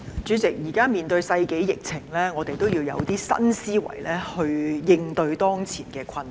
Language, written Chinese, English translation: Cantonese, 主席，現時面對世紀疫情，我們要有新思維來應對當前的困難。, President in the face of the pandemic of the century we must adopt new mindset to cope with the difficulties in front